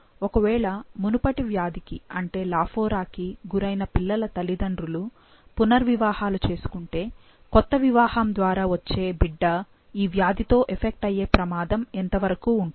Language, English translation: Telugu, Now, if a parent of a child affected by the earlier disease, that is lafora, remarries, what is the risk of producing an affected child in the new marriage